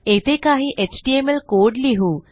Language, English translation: Marathi, So lets put some html code here